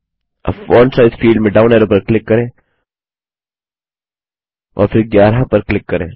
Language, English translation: Hindi, Now click on the down arrow in the Font Size field and then click on 11